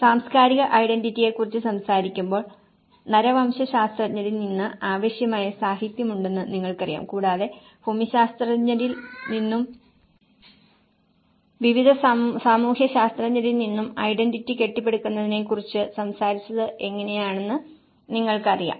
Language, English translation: Malayalam, So, this all when we talk about cultural identity you know there is enough of literature we have from the anthropologist and you know, how from the geographers and various sociologists who talked about building the identity